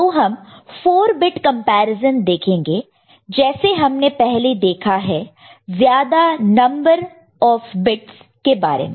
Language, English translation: Hindi, So, we’ll go 4 bit number comparison the way we had seen before or larger number of bits